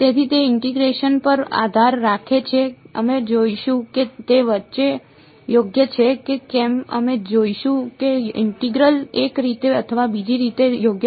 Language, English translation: Gujarati, So, it depends on the integrand we will see whether it depends right, we will see whether the integral matters one way or the other right